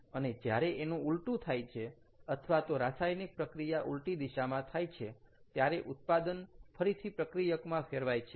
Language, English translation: Gujarati, then, or the reaction happens in the opposite direction, the products now turn back to reactants